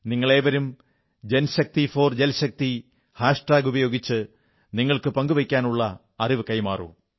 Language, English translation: Malayalam, You can all share your content using the JanShakti4JalShakti hashtag